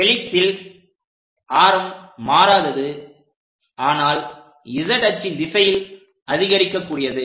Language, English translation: Tamil, For helix, this radius is nearly constant, but axial directions z axis increases